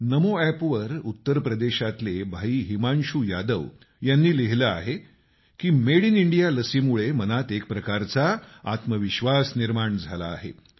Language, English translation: Marathi, On NamoApp, Bhai Himanshu Yadav from UP has written that the Made in India vaccine has generated a new self confidence within